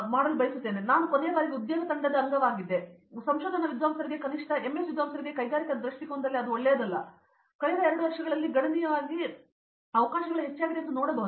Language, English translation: Kannada, So, I was part of the placement team last time and I could see that the placement for the research scholars, at least for the MS scholars it was not that good in the industrial perspective, but it has significantly increased over the last 2 years